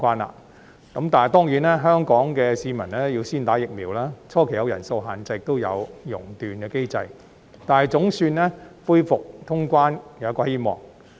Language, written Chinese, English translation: Cantonese, 可是，當然，香港市民要先接種疫苗，初期會有人數限制，亦有熔斷機制，但恢復通關總算帶來希望。, Yet of course Hong Kong people must first receive vaccination . Initially there will be a cap on the number of travellers and a suspension mechanism but the resumption of cross - border travel will after all bring hope